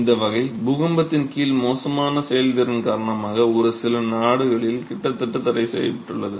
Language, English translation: Tamil, This category because of its notoriously poor performance under earthquakes has been almost outlawed in a few countries